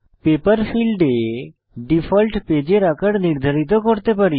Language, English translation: Bengali, In the Paper field, we can set the default paper size